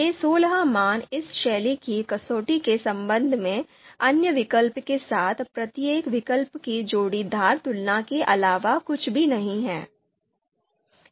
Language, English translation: Hindi, So these sixteen values are nothing but you know pairwise comparisons of comparisons comparisons of each alternative with the other alternatives with respect to this style criterion